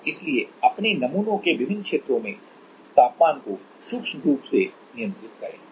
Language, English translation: Hindi, And so microscopically control the temperature at different regions of your samples